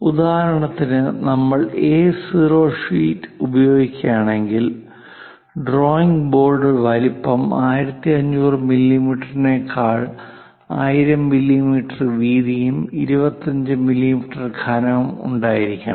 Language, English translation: Malayalam, For example, if we are using A0 sheet, then the drawing board size supposed to be larger than that 1500 mm by 1000 mm width, thickness supposed to be 25 millimeters